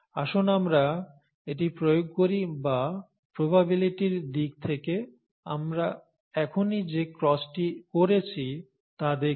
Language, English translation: Bengali, Let us apply this or let us look at whatever we did just now, the cross that we did just now, in terms of probabilities